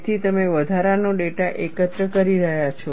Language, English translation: Gujarati, So, you are collecting additional data